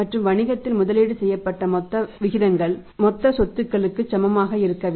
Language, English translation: Tamil, And total funds become the equal to the total funds invested in the business should be equal to the total assets right